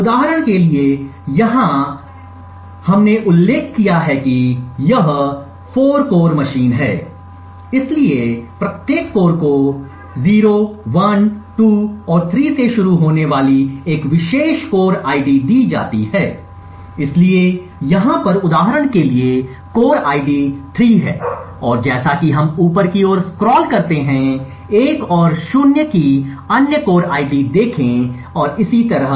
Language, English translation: Hindi, For example over here since we have mentioned that this is 4 core machine, so each core is given a particular core ID starting from 0, 1, 2 and 3, so the core ID for example over here is 3 and as we scroll upwards we see other core IDs of 1 and 0 and so on